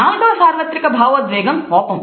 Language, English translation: Telugu, The third universal emotion is that of fear